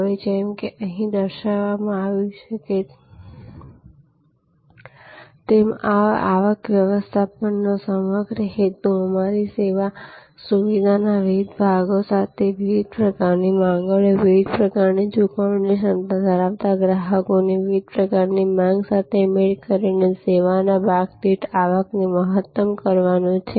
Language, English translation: Gujarati, Now, as it is shown here, a whole purpose of revenue management is to maximize the revenue per episode of service by matching different types of demands, different types of customers with different paying capacities with different sections of your service facility